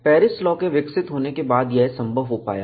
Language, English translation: Hindi, This was made possible, with the development of Paris law